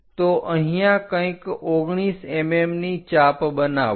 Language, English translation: Gujarati, So, make an arc of 19 mm somewhere here